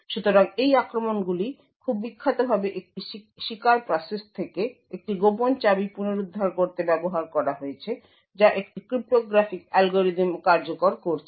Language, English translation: Bengali, So this attacks has been used very famously retrieve a secret keys from a victim process which is executing a cryptographic algorithm